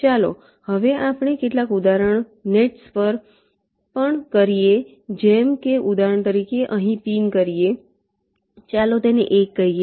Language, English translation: Gujarati, lets now also consider some example nets, like, for example, ah pin here lets call it one